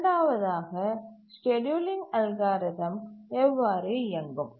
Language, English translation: Tamil, The second is how it will run the scheduling algorithm